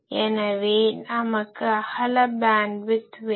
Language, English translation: Tamil, So, we want wide bandwidth